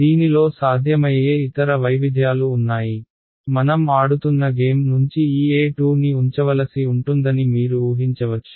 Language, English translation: Telugu, There are other possible variations of this you can imagine that since this game that I am playing I have to keep en cross E 2